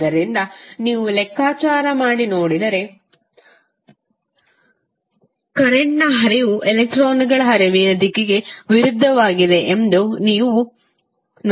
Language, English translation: Kannada, So, if you see the figure you will see that the flow of current is opposite to the direction of flow of electrons